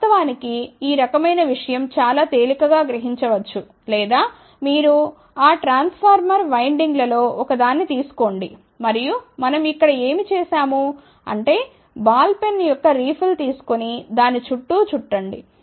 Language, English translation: Telugu, In fact, this kind of a thing can be very easily realized or you do it is take one of those transformer windings, and what we have done over here is that just take the refill of the ball pen and wrap it around that